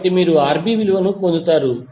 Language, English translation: Telugu, So you will get simply the value of Rb